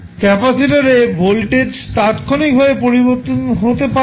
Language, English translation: Bengali, The voltage across capacitor cannot change instantaneously